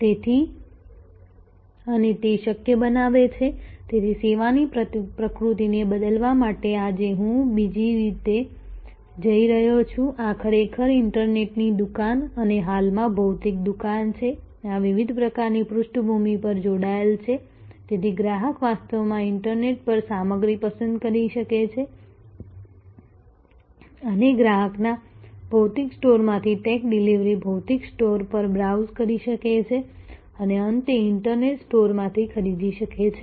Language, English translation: Gujarati, So, and it makes it possible therefore, to change the nature of the service this is I am moving to another way this is actually the internet shop and the physical shop at now, connected through at the background this different types of, so the customer can actually choose stuff on the internet and a take delivery from the physical store of the customer can browse at the physical store and finally, buy from the internet store